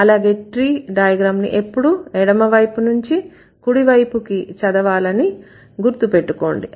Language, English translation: Telugu, And remember the tree diagram should also should always be read from the left to right, not the other way around